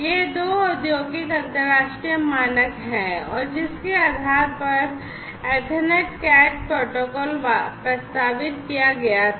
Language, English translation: Hindi, These are two industrial international standards and based on which the ether Ethernet CAT protocol was proposed